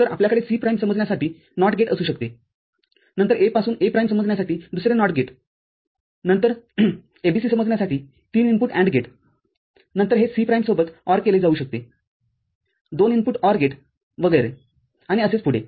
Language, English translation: Marathi, So, we can have a NOT gate to realize C prime, then another not get to realize A prime from A then a three input AND gate to realize ABC, then this can be ORed with C prime a two input OR gate and so on and so forth